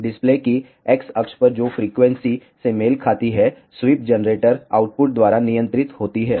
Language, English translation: Hindi, The X axis of the display which corresponds to the frequency is govern by the sweep generator output